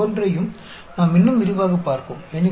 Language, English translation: Tamil, We will look at each one of them more in detail